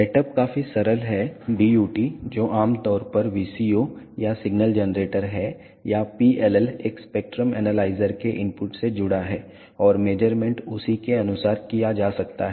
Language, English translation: Hindi, The setup is quite simple the DUT which is typically a VCO or signal generator or PLL is connected to the input of a spectrum analyzer and the measurements can be done accordingly